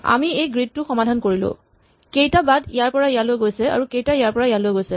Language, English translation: Assamese, So, we solve this grid how many paths go from here to here, how many paths go from here to here